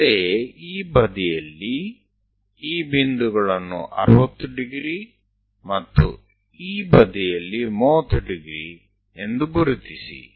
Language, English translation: Kannada, Similarly, on this side also mark these points 60 degrees, and on this side 30 degrees